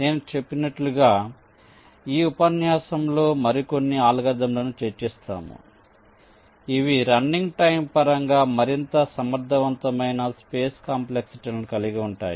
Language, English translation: Telugu, so, as i said, we shall be discussing some more algorithms in this lecture which are more efficient in terms of the running time, also the storage complexities